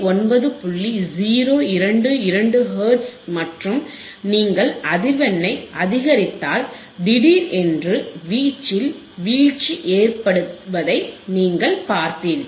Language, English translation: Tamil, 022 Hertz and if you increase the frequency, increase the frequency suddenly you will see the drop in the amplitude